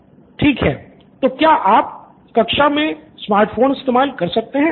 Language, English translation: Hindi, Okay, so do you have access to smart phones in classroom